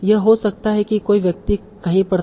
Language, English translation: Hindi, So this can be someone was at somewhere